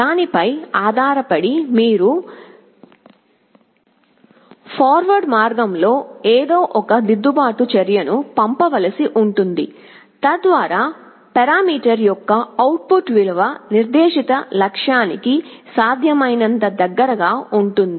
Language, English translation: Telugu, Depending on that you will have to send some kind of a corrective action along the forward path so that the output value of the parameter is as close as possible to the set goal